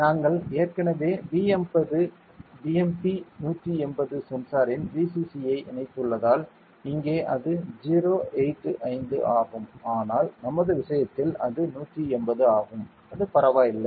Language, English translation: Tamil, Then we already since we have connected the VCC of the BMP180 sensor here it is 085, but in our case, it is 180 it does not matter anyway it is command ok